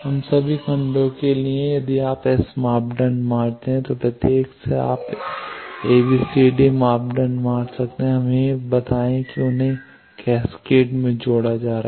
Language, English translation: Hindi, So, there will be other blocks Now, for all the blocks if you find S parameter then from each you can find ABCD parameter let us say they are being added in cascade